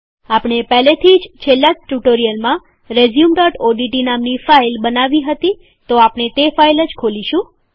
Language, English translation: Gujarati, Since we have already created a file with the filename resume.odt in the last tutorial we will open this file